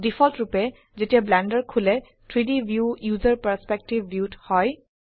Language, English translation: Assamese, By default, when Blender opens, the 3D view is in the User Perspective view